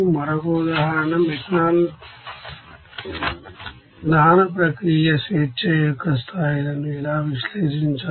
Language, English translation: Telugu, Another example, methanol combustion process how to analyze the degrees of freedom